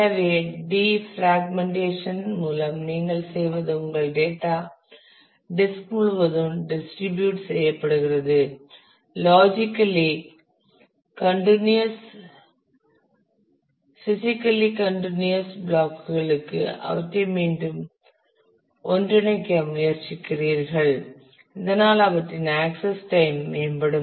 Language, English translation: Tamil, So, by defragmentation what you do is your data which is got distributed all over the disk you try to bring them together again to logically continuous physically contiguous blocks so, that their access time can improve